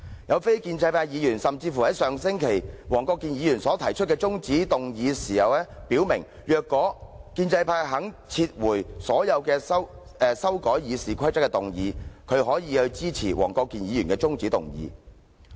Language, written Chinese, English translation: Cantonese, 一位非建制派議員甚至在上星期就黃國健議員的中止待續議案發言時表明，如果建制派肯撤回所有修改《議事規則》的決議案，他可以支持黃議員的中止待續議案。, A non - establishment Member even indicated when speaking on Mr WONG Kwok - kins adjournment motion last week that if the pro - establishment camp withdrew all resolutions on the amendments to RoP he could support Mr WONGs adjournment motion